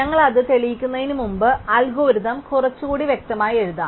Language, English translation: Malayalam, Before we prove it, let us formally write down the algorithm a little more clearly